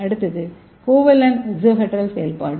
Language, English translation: Tamil, And third one is non covalent exohedral functionalization